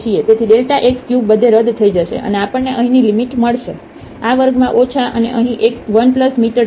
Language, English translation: Gujarati, So, delta x cube will get cancelled everywhere, and we will get the limit minus this is m square minus here m and here 1 plus m square 3 by 2